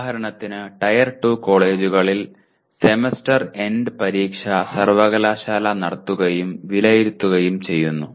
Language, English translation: Malayalam, For example in tier 2 college Semester End Examination is conducted and evaluated by the university